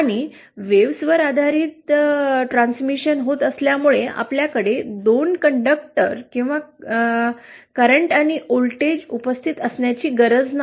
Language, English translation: Marathi, And since wave based transmission is happening, we need not have 2 conductors or current and voltage present